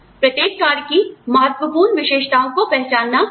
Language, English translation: Hindi, Purposes are identification of important characteristics of each job